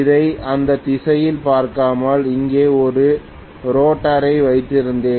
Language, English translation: Tamil, Rather looking at it in this direction, I had a rotor here